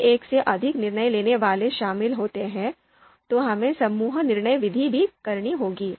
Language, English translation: Hindi, Several decision makers are involved, then probably we need to have a group decision methods as well